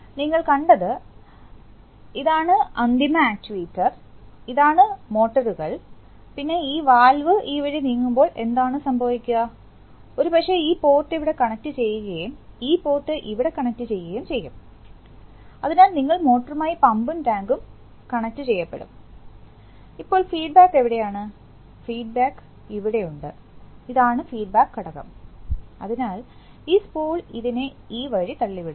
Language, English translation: Malayalam, You see that, this is the final actuator, this is the motors, then when this valve will move this way then what will happen is that, probably this port will get connected to here and this port will get connected to here, so then you will get pump and tank connected to the motor, now where is the feedback, the feedback is here in this thing, this is the feedback element, so this spool is going to push this thing this way, when it pushes here is a fulcrum, see fulcrum